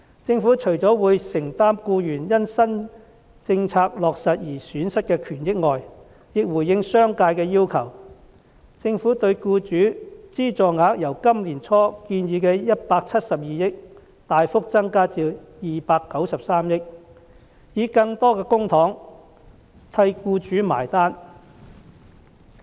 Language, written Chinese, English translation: Cantonese, 政府除了會承擔僱員因新政策落實而損失的權益外，亦回應商界的要求，政府對僱主資助額由今年年初建議的172億元大幅增加至293億元，以更多的公帑替僱主"埋單"。, Apart from making up for the loss of benefits of employees due to the implementation of the new policy the Government has also responded to the request of the business sector by picking up the bill of employers with more public money as the Governments subsidy to employers will be significantly increased to 29.3 billion from 17.2 billion which was proposed at the beginning of this year